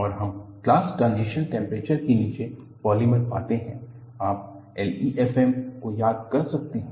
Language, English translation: Hindi, And, we find polymers below glass transition temperature; you could invoke L E F M